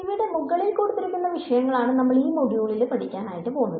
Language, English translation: Malayalam, So, these are the topics that we will cover in this module